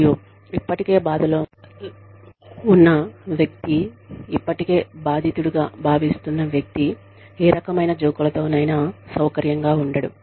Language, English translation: Telugu, And, a person who is already feeling low, who is already feeling victimized, may not feel very comfortable with, you know, with any kinds of jokes